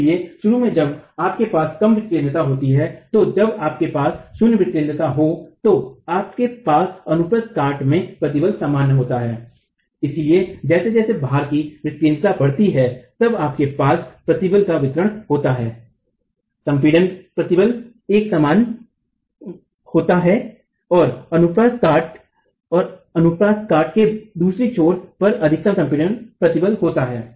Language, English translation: Hindi, So initially when you have low eccentricities, then when you have zero eccentricity you have the stress being uniform across the cross section, but as eccentricity of loading increases, then you have the distribution of stress, compressive stress is not uniform, you have minimum compressive stress occurring at one edge of the cross section, maximum compressive stress occurring at the other end of the cross section